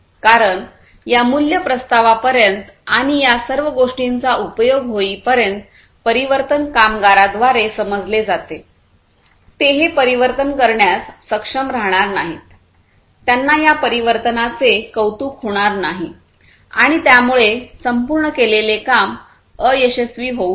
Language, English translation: Marathi, Because until this value proposition and the use of all of these things the transformation etc are understood by the workforce; they will not be able to you know do this transformation in a meaningful way, they will not be able to appreciate this transformation meaningfully, and because of which the entire exercise might fail